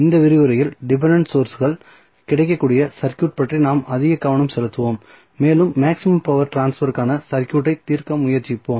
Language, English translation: Tamil, In this lecture, we will more focused about the circuit where the dependent sources are available, and we will try to solve the circuit for maximum power transfer